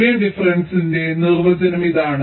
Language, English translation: Malayalam, ok, this is the definition of boolean difference